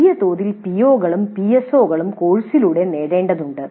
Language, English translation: Malayalam, So attainment of the POs and PSOs have to be attained through courses